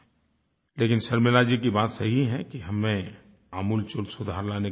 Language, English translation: Hindi, Sharmila ji has rightly said that we do need to bring reforms for quality education